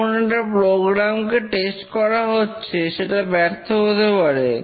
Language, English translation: Bengali, When a program is being tested, it may fail